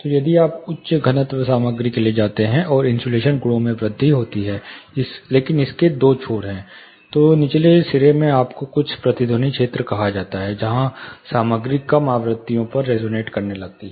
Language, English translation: Hindi, So, the higher density material and thickness you go for, the insulation properties increase, but there are two ends to it in the lower end, you have something called resonant region, where the materials start resonating to low frequencies